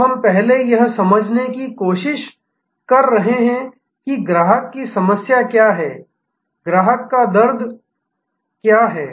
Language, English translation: Hindi, So, we are trying to first understand, what is the customer problem, what is the customer pain